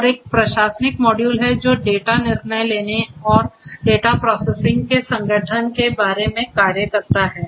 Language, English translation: Hindi, And there is an administrative module which talks about organizing organization of the data processing of the data decision making and so on